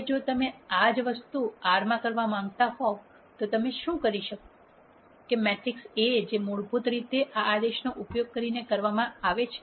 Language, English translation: Gujarati, Now, if you want to do the same thing in R what you do is you de ne the matrix A which basically is done using this command